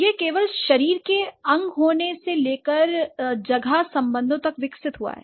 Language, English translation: Hindi, So, this has developed from being just a body part to space relationships